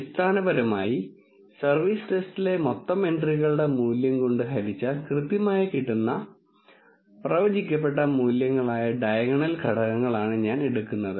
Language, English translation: Malayalam, Essentially, I am taking the diagonal elements that is the correctly predicted values divided by the total number of entries in the service test